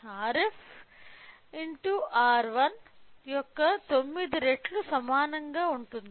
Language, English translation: Telugu, So, we will get R f is equal to 9 times of R 1